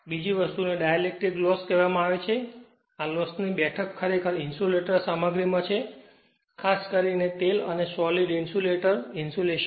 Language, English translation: Gujarati, Another thing is called dielectric loss; the seat of this loss actually is in the insulating materials particularly oil and solid insulators right insulations right